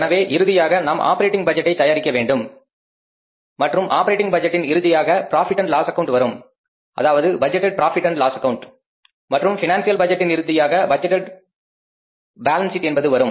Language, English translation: Tamil, So, we have to finally prepare the operating budget and the end of the operating budget will be the profit and loss account, budgeted profit and loss account and end of the financial budget will be the budgeted balance sheet